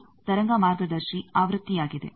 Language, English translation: Kannada, This is the wave guide version